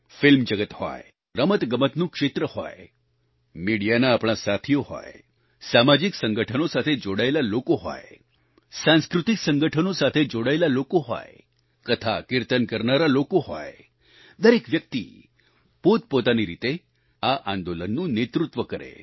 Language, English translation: Gujarati, Whether it be from the world of films, sports, our friends in the media, people belonging to social organizations, people associated with cultural organizations or people involved in conducting devotional congregations such as Katha Kirtan, everyone should lead this movement in their own fashion